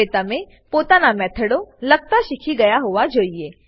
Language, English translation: Gujarati, Now you should be able to write your own methods